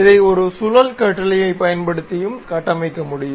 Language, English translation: Tamil, One can also construct using a revolve command